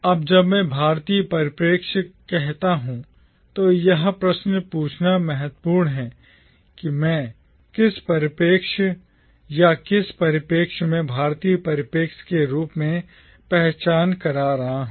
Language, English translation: Hindi, Now when I say the “Indian” perspective, it is important to ask the question whose perspective or what is that perspective which I am identifying here as the Indian perspective